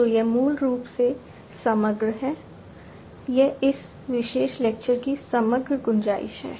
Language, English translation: Hindi, So, this is basically the overall, you know, this is the overall scope of this particular lecture